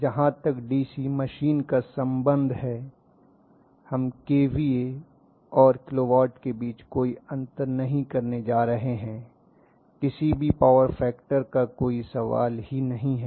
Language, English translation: Hindi, As far as the DC machine is concerned, we are not going to have any difference between kva and kilo watt there is no question of any power factor